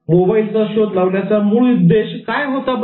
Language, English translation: Marathi, What was the main intention of inventing mobile